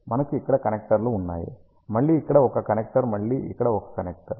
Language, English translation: Telugu, We have the connectors here, again a connector here again a connector here